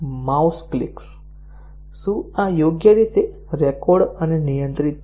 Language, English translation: Gujarati, Mouse clicks; are these properly recorded and handled